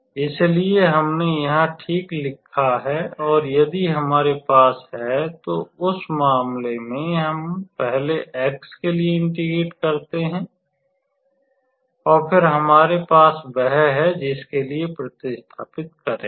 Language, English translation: Hindi, So, that is what we have written here alright and if we have that; so then, in that case we integrate with respect to x first and then we have that z how to say method of substitution formula working